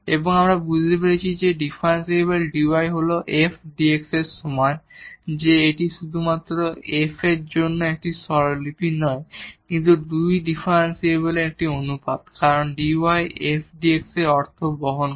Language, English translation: Bengali, And, what we also realized now introducing that differential dy is equal to f prime dx that this is not just a notation for f prime, but this ratio of the 2 differential because dy was f prime into dx makes sense